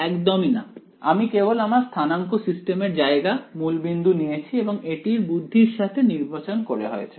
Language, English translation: Bengali, Not at all I have just choosing my location of my coordinate system the origin of my coordinate system is what is being chosen a little bit cleverly